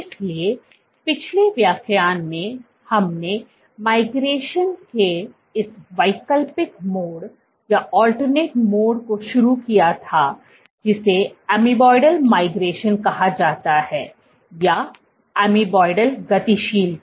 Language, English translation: Hindi, So, in last lecture we had started this alternate mode of migration called amoeboidal migration, amoeboidal motility